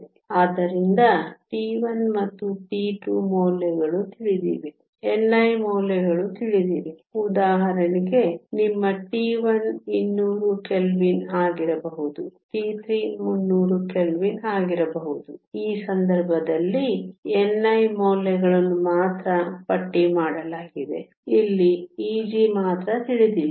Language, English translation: Kannada, So, T 1 and T 2 values are known, n i values are known, for example, your T 1 could be 200 Kelvin, T 2 could be 300 Kelvin in which case the n i values are tabulated we only unknown here is E g